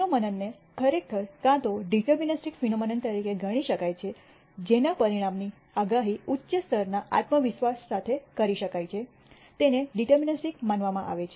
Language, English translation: Gujarati, Phenomena can actually be either considered as deterministic phenomena whose outcome can be predicted with the high level of con dence can be considered as deterministic